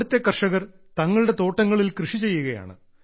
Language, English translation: Malayalam, Farmers here are growing apples in their orchards